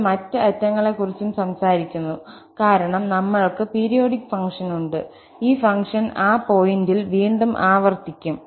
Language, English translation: Malayalam, We are talking about the other ends also because we have the periodic function and this function will repeat again at that point